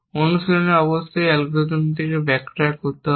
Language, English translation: Bengali, In practice, of course, an algorithm may